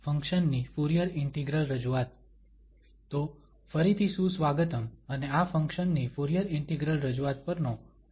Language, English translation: Gujarati, So, welcome back and this is lecture number 41 on Fourier Integral Representation of a Function